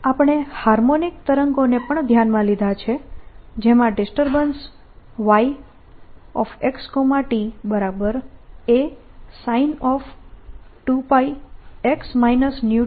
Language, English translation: Gujarati, we also considered harmonic waves which have a disturbance by y x three